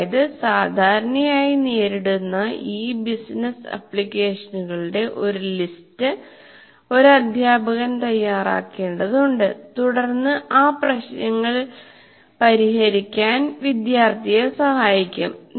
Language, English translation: Malayalam, That means the teacher will have to make a list of this commonly encountered business applications and then make the student, rather facilitate the student to solve those problems